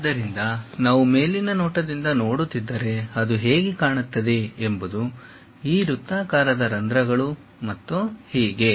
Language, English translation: Kannada, So, if we are looking from top view, this is the object how it looks like; these circular holes and so on